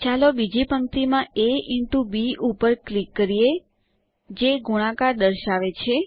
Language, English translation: Gujarati, Let us click on a into b in the second row denoting multiplication